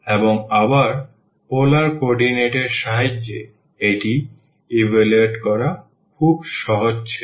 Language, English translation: Bengali, And with the help of again the polar coordinate this was very easy to evaluate